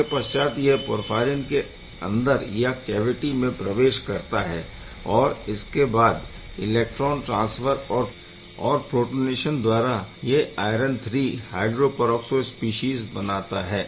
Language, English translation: Hindi, It gets into the cavity of the porphyrin and then electron transfer protonation gives the iron III hydroperoxo species